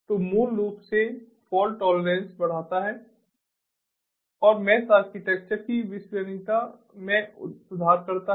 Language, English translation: Hindi, so it basically increases, improves the fault tolerance and improves the reliability of the network